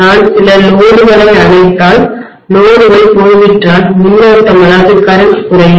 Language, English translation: Tamil, If I switch off some of the loads, the loads are gone then the current is going to decrease